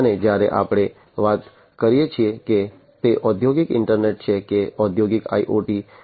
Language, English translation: Gujarati, And when we are talking about whether it is the industrial internet or the industrial IoT